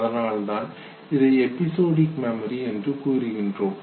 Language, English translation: Tamil, Therefore it is called as episodic memory